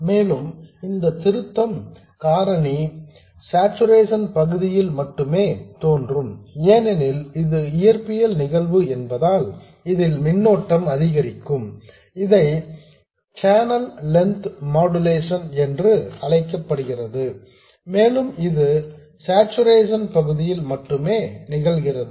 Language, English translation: Tamil, And this correction factor appears only in the saturation region because the physical phenomenon by which this current increases is known as channel length modulation and that happens only in saturation region